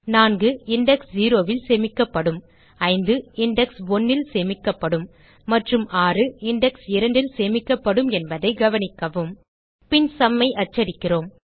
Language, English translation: Tamil, Note that 4 will be store at index 0, 5 will be store at index 1 and 6 will be store at index 2 Then we print the sum